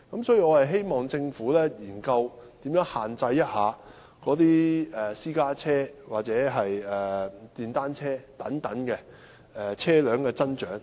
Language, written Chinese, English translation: Cantonese, 所以，我希望政府研究如何限制私家車或電單車等車輛的增長。, Given this I hope the Government will study how to restrict the growth of such vehicles as private cars or motorcycles